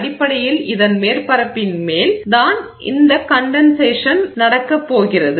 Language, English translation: Tamil, Basically it is the surface on which this condensation is going to happen